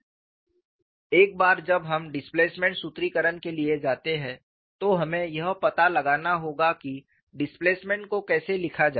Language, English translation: Hindi, And once we go for displacement formulation, we have to find out how to write the displacement, we have already seen